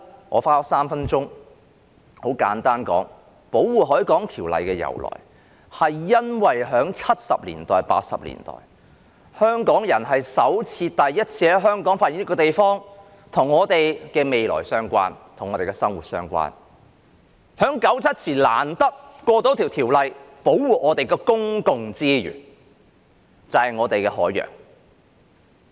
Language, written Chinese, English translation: Cantonese, 我花了3分鐘簡單講述《條例》的由來，就是由於在1970年代、1980年代，香港人首次在香港發現了一個地方，是與我們的未來相關、和我們的生活息息相關，然後便在1997年前難得地通過了《條例》，以保護我們的公共資源，就是我們的海洋。, I have spent three minutes to briefly explain the origin of the Ordinance . It is because in the 1970s and 1980s Hong Kong people discovered for the first time a place in Hong Kong which was related to our future and closely connected with our lives and then the Ordinance was passed as a rare occurrence before 1997 to protect our public resources ie . our sea